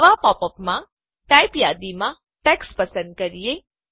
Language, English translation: Gujarati, In the new popup, let us select Text in the Type list